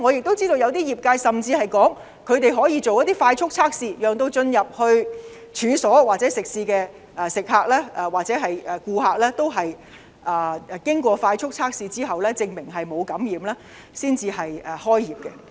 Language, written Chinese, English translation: Cantonese, 我知道有些業界表示，他們可以進行快速測試，讓進入處所或食肆的顧客經快速測試證明沒有感染後，才開業。, I know some people in the industry indicate that they could conduct the rapid virus tests for their customers in order that they will open for businesses only after the customers who enter the premises or restaurants concerned have been tested negative in the rapid virus tests